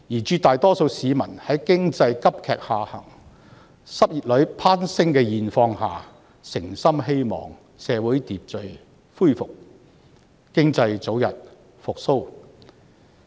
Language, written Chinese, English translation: Cantonese, 絕大多數市民在經濟急劇下行及失業率攀升的現況下，誠心希望社會秩序恢復，經濟早日復蘇。, The vast majority of people sincerely hope that in the midst of an economic downturn and rising unemployment rate social order can be restored and the economy will recover as soon as possible